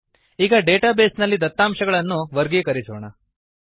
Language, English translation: Kannada, Now lets sort the data in this database